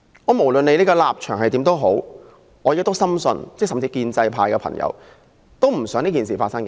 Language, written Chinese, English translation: Cantonese, 不論立場如何，我深信建制派議員也不想這種事情發生。, I strongly believe that pro - establishment Members despite their stance do not wish to see the occurrence of such kind of incident